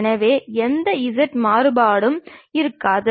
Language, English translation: Tamil, So, there will not be any z variation